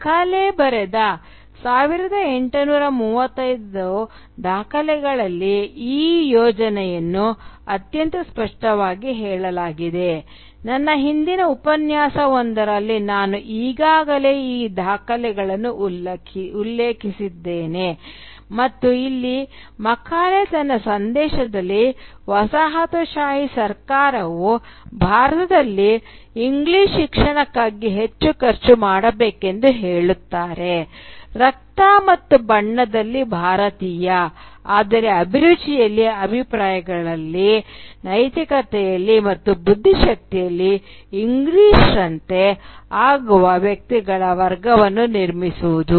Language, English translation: Kannada, And this project is most clearly stated in the 1835 Minutes that Macauley wrote, I have already referred to this Minutes in one of my earlier lectures, and here Macauley states in this minutes that the colonial government should spend more on English education in India so as to “create a class of persons, Indian in blood and colour, but English in taste, in opinions, in morals, and in intellect